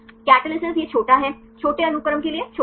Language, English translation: Hindi, Catalysis right this is shorter, to small sequence right